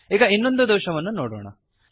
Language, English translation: Kannada, lets next look at another error